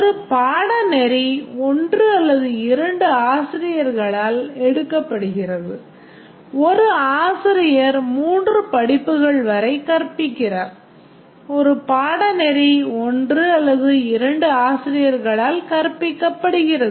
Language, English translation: Tamil, A teacher teaches 1 to 3 courses and a student takes 1 to 5 courses or a course is taken by 10 to 300 students